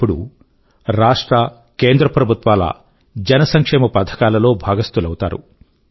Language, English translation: Telugu, They will now be able to benefit from the public welfare schemes of the state and central governments